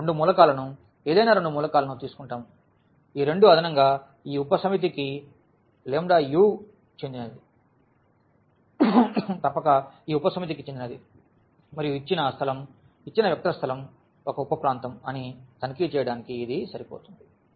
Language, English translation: Telugu, We take the two elements any two elements the sum the addition of these two must belong to this subset and also the lambda u must belong to this subset and that is enough to check that the given space given vector space is a is a subspace